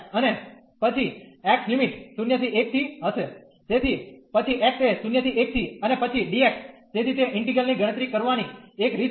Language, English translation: Gujarati, And then the x limits will be from 0 to 1, so then x from 0 to 1 and then the dx, so that is the one way of computing the integral